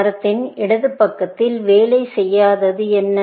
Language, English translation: Tamil, What is it that is not working in the left side of the tree